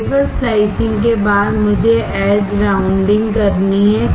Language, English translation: Hindi, After wafer slicing, I have to do edge rounding